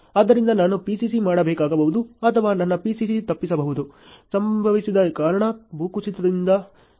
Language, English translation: Kannada, So, I may have to do PCC or I may also avoid my PCC ok; because of what there may be a landslide which has happened